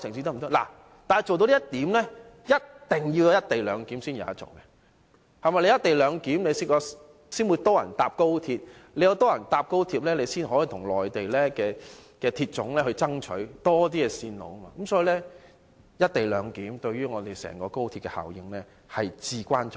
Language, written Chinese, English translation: Cantonese, 不過，要做到這一點，便一定要落實"一地兩檢"，只有落實"一地兩檢"，才會有更多人乘搭高鐵，有更多人乘搭高鐵才可跟中國鐵路總公司爭取興建多一些線路，所以"一地兩檢"對整個高鐵的效益至為重要。, It is only when the co - location arrangement is implemented that more people will take XRL . With more people taking XRL we can then seek the creation of more routes from the China Railway Corporation . Hence the co - location arrangement is critically important to the overall effectiveness of XRL